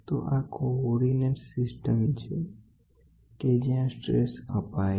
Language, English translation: Gujarati, So, this is the coordinate system where the strains are given